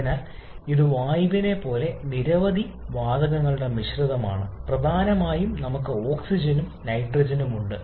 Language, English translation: Malayalam, So, it is mixtures of several gasses like in air predominantly we have oxygen and nitrogen